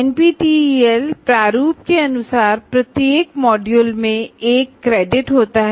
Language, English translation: Hindi, And now, as per the NPTEL format, each module constitutes one credit